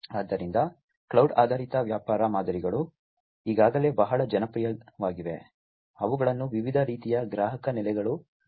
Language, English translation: Kannada, So, cloud based business models are already very popular, they are used by different types of customer bases